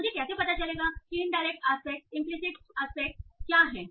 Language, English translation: Hindi, How do I find out what are the indirect aspects, implicit aspects